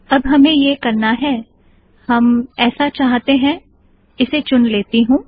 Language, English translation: Hindi, Right now what we want to do is, is we want to, let me select this